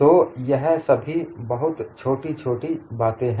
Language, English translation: Hindi, So, these are all subtle things